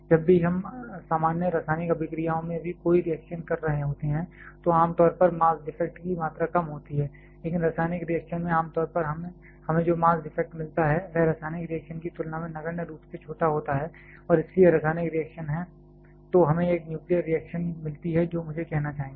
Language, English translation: Hindi, Whenever we are having any reaction even in common chemical reaction, there is generally small amount of mass defect, but the amount of mass defect that generally we get in a chemical reaction is negligibly small compare to what we get in case of chemical reaction and therefore, chemical reactions are, then we get in a nuclear reaction I should say